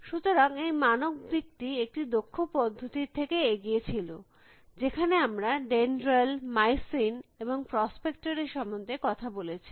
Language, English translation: Bengali, So, the standard approach that was forward an expert system, which we is we talked about dendral and mycin and prospector